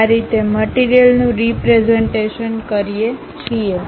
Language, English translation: Gujarati, This is the way we represent materials